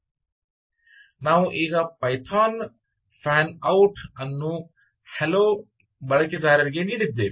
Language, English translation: Kannada, so we have now given python send fan out, hello, user one, right